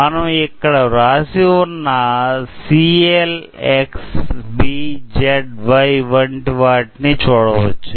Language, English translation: Telugu, So, here you can see written letters written C L X B Z Y etcetera